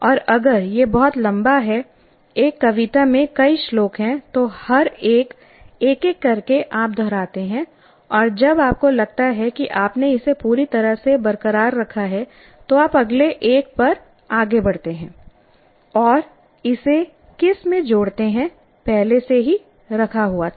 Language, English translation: Hindi, And if it is a very long one, there are several stanzas in a poem, then each one by one you repeat and after you feel that you have retained it completely, then you move on to that and combine this into that